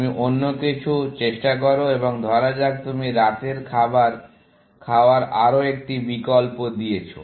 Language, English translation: Bengali, So, you try something else, and let us say, you give another dinner option